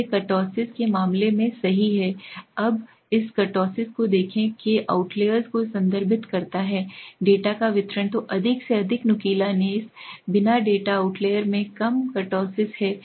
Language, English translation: Hindi, These are the case of kurtosis right, now look at this kurtosis refers to the outliers of the distribution of the data, so more the outlier the more the peaked ness; the data without the outliers have low kurtosis